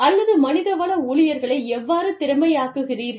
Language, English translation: Tamil, Or, how do you make, the HR staff, capable